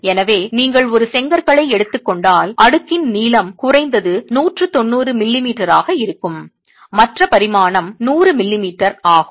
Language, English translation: Tamil, So if you take a of bricks, the length of the stack is going to be at least 190 millimeters, whereas the other dimension is 100 m